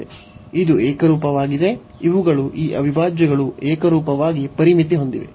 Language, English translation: Kannada, And this is uniform, these are these integrals are uniformly bounded